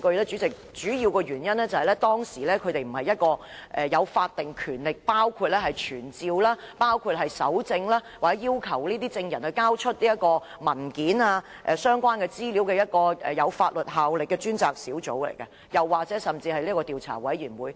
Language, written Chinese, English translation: Cantonese, 主席，主要原因是，專家小組並非一個有法定權力，可傳召證人、搜證或要求證人交出文件及相關資料的專責小組或調查委員會。, President it is mainly because the Expert Panel is not a task force or a committee of inquiry with statutory power to summon witnesses collect evidence or request witnesses to hand over documents and related information